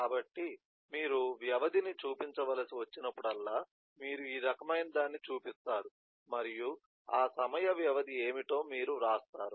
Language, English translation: Telugu, so whenever you have to show duration, you just show this kind of and then you write what is the time duration